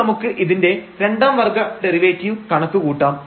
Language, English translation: Malayalam, So, we will compute now the second order derivative of this term